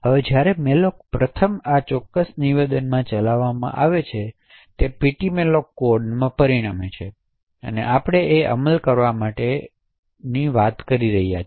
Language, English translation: Gujarati, Now when malloc first gets executed in this particular statement over here it results in ptmalloc code that we have been talking about to get executed